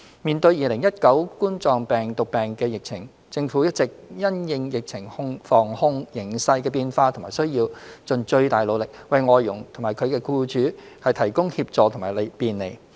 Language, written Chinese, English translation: Cantonese, 面對2019冠狀病毒病疫情，政府一直因應疫情防控形勢的變化和需要，盡最大努力為外傭和其僱主提供協助和便利。, In the face of the COVID - 19 pandemic the Government has been making its best effort to provide assistance and facilitation to FDHs and their employers subject to changes in and the need for prevention and control of the pandemic